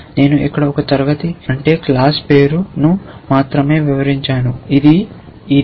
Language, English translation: Telugu, I have only described one class name here which is this